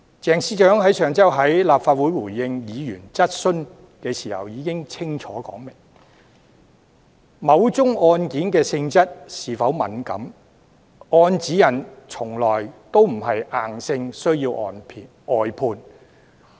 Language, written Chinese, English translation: Cantonese, 鄭司長上周在立法會回應議員質詢時已清楚說明，根據指引，某宗案件的性質是否敏感，從來不是硬性需要外判的準則。, Secretary CHENG did answer clearly in the Legislative Council last week when replying to a Members question saying whether it was a sensitive case or not was never a criterion for mandatory briefing out under the guideline